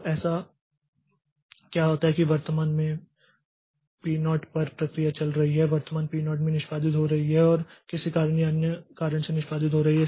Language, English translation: Hindi, So, so what happens is that suppose at present the process P0 is executing at present P0 is executing and due to some reason or the other so P0 cannot proceed further so maybe it is because of this I